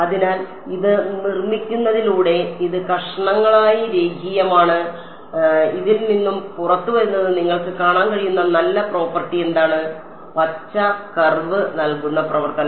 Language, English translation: Malayalam, So, by constructing this it is piecewise linear and what is the nice property that you can see coming out of this, the function given by the green curve is